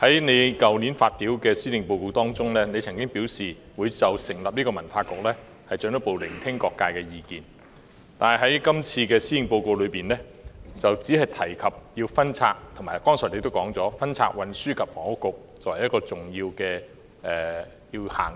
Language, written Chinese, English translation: Cantonese, 在去年發表的施政報告中，你曾經表示會就成立文化局進一步聆聽各界意見，但在這次的施政報告中，你只提及分拆，即你剛才所說的分拆運輸及房屋局，並指出這是一項重要且要優先執行的事。, You mentioned in last years Policy Address that you would further listen to the views of different sectors on the establishment of a Culture Bureau . Yet you only mentioned a split in this Policy Address as you said just now splitting the Transport and Housing Bureau and you pointed out that this is an important task which should be accorded priority